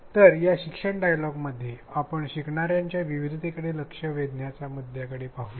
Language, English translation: Marathi, So, in this learning dialogue let us look at the issue of addressing diversity in our learners in an e learning context